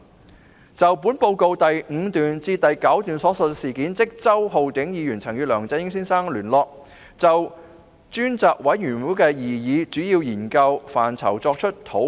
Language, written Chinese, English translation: Cantonese, 根據少數報告第5至9段，周浩鼎議員曾與梁振英先生聯絡，就專責委員會的擬議主要研究範疇作出討論。, According to paragraphs 5 to 9 of the Minority Report Mr Holden CHOW had contacted Mr LEUNG Chun - ying for a discussion on the proposed major areas of study of the Select Committee